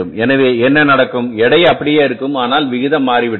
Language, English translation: Tamil, So total weight is remaining the same but the proportion has changed